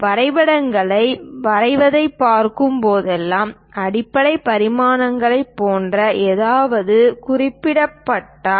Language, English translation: Tamil, Whenever we are looking at the drawings drawing sheets, if something like the basic dimensions represented